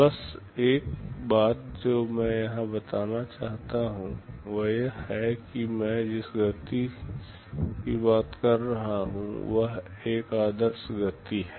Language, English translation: Hindi, Just one thing I want to mention here is that this speedup of k that I am talking about is an ideal speed up